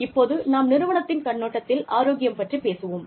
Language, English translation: Tamil, Now, we will talk about, health, from the perspective of the organization